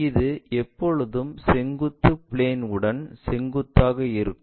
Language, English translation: Tamil, This is always be perpendicular to vertical plane